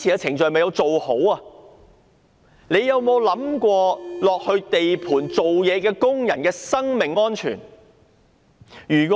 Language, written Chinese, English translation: Cantonese, 當局有否想過在地盤工作的工人的生命安全呢？, Have the relevant authorities ever considered the personal safety of the workers working on the construction sites?